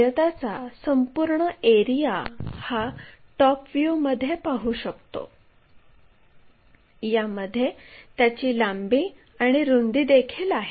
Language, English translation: Marathi, The complete area one can really see it in the top view, where we have that length and also breadth